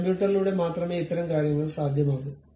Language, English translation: Malayalam, These kind of things can be possible only through computers